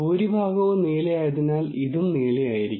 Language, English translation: Malayalam, And since the majority is blue, this will be blue